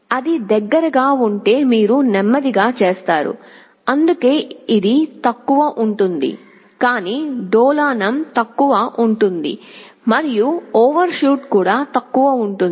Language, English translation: Telugu, If it is closer you make it slower that is why it is lower, but oscillation will be less and also overshoot is less